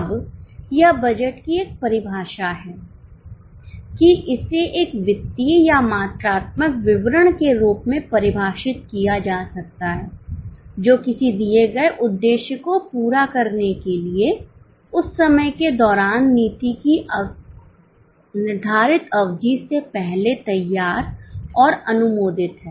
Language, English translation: Hindi, Now this is a definition of budget that it can be defined as a financial or quantitative statement prepared and approved prior to a defined period of time or policy to be pursued during that purpose for attaining a given objective